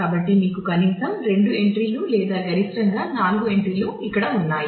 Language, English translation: Telugu, So, you have at least either at least two entries or maximum up to 4 entries that can go on here